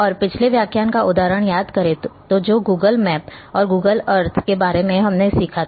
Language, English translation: Hindi, And keep the example of a previous lecture about like a Google map or Google Earth